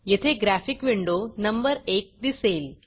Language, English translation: Marathi, You will see a graphic window number 1